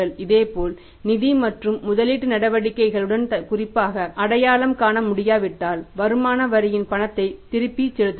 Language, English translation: Tamil, Similarly cash refunds of the income tax unless they can be specifically identified with financing and investing activities